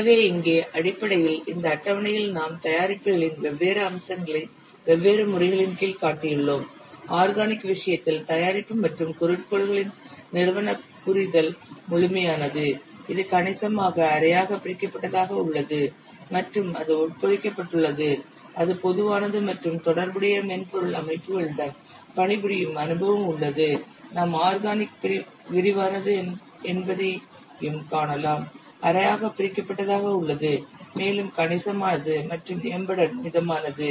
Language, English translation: Tamil, So here basically in this table we have shown the different features of the products under different modes for example the organizational understanding of product and objectives in case of organic it is a thorough in semi detract it is considerable and is embedded it is general and experience in working with related software systems efficiency organic is extensive semi detask it is considerable and is embedded it is general